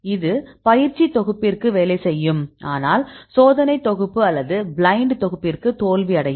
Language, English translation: Tamil, And this will work for the training set, but it will fail for the test set or any blind set